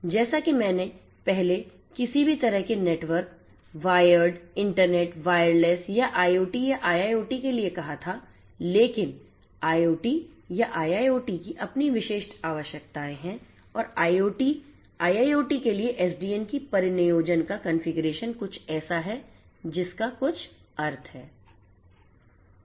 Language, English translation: Hindi, So, these apply as I said earlier to any kind of network where internet wireless or IoT or IIoT, but IoT or IIoT has it is own specific requirements and the configuration of the deployment of SDN for IoT, IIoT is something that is nontrivial